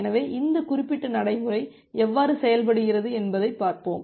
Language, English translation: Tamil, So, let us look how this particular procedure works